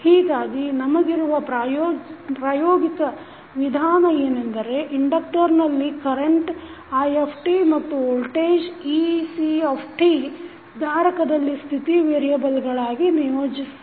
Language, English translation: Kannada, So, the practical approach for us would be to assign the current in the inductor that is i t and voltage across capacitor that is ec t as the state variables